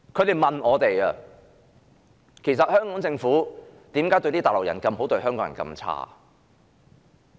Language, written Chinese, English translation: Cantonese, 他們問我們："其實，為何香港政府善待內地人，但卻虧待香港人？, They asked us Actually why does the Hong Kong Government treat the Mainland people so well but treat Hong Kong people so badly?